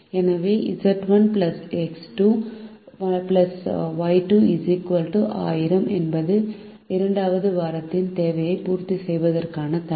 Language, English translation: Tamil, so z one plus x two plus y two, equal to thousand, is the constraint to meet the demand of the second week